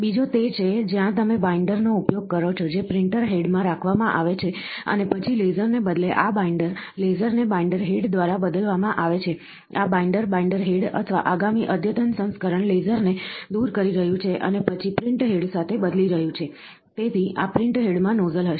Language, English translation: Gujarati, The other one is where in which you use a binder, which is kept in a printer head and then this binder instead of a laser, the laser is replaced by a binder head, this binder, the binder head, or the ,sorry, the next advanced version is removing the laser and then replacing with the print head, so, this print head will have a nozzle